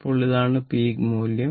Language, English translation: Malayalam, So, now this is the peak value